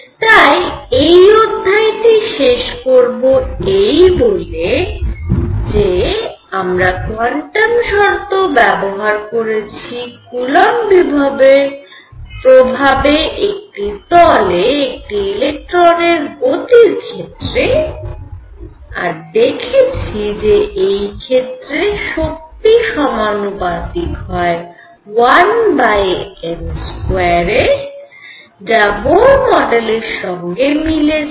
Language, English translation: Bengali, So, to conclude this lecture, we have applied quantum conditions to an electron moving in a plane under the influence of coulomb potential and what do we find one energy comes out to be proportional to 1 over n square same as the Bohr model